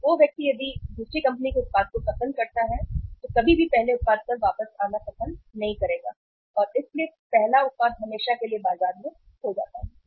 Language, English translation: Hindi, So the person if likes the product of the other company the substitute then he may never like to come back to the first product so first product lost the market forever